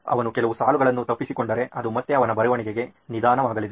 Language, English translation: Kannada, If he’s missed a few lines then it will again come to the his writing becoming slow